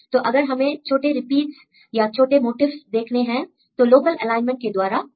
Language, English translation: Hindi, So, we want to see the small repeats or small motifs, we can get from this local alignment